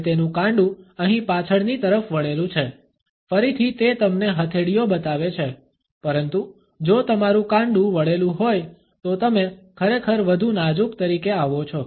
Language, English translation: Gujarati, And his wrist is bent backwards here, again its great show you palms, but if your wrist is bent you actually come across as more flimsy